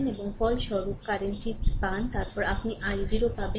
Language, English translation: Bengali, And obtain the resulting current, then, you obtain the i 0